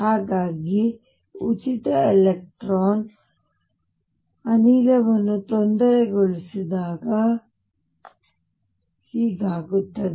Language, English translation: Kannada, So, this is what happens when I disturb this free electron gas